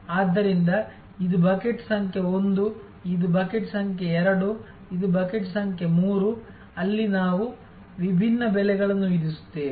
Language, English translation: Kannada, So, this is bucket number 1, this is bucket number 2, this is bucket number 3, where we will be charging different prices